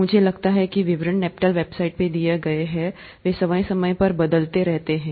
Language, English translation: Hindi, I think the details are given in the NPTEL website, they keep changing from time to time